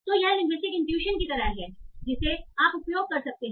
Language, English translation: Hindi, So, this is like linguistic intuition that you can use